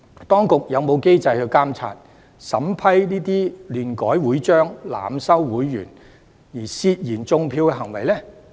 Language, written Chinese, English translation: Cantonese, 當局有否機制去監察和審視這些亂改會章、濫收會員的涉嫌"種票"行為呢？, Do the authorities have any mechanism in place to monitor and examine these suspected acts of vote - rigging by modifying wantonly the constitution of associations and admitting members indiscriminately?